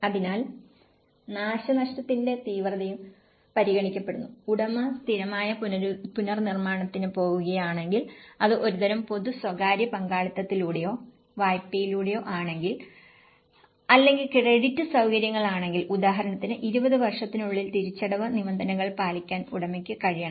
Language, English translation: Malayalam, So, the intensity of the damage is also considered, the owner is capable of meeting the repayment terms over 20 years for instance, if he is going for a permanent reconstruction and if it is through a kind of public private partnerships or to a loan or credit facilities so, how you can also establish certain housing schemes, so that he can pay instalments and 20 years or so that they will also see that capability